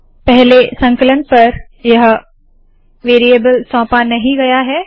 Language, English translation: Hindi, On first compilation, this variable is not assigned